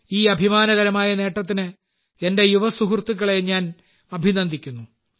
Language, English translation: Malayalam, I congratulate my young colleagues for this wonderful achievement